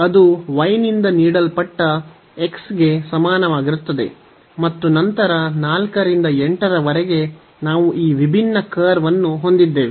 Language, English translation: Kannada, So, this is y is equal to x and we have x y is equal to 16 and we have in this case x is equal to 8 and the region enclosed by these 4 curves